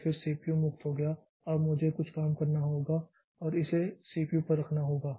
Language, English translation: Hindi, So, again the CPU becomes free now I have to have to take some job and put it onto the CPU